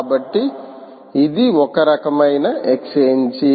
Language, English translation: Telugu, so what are the type of exchanges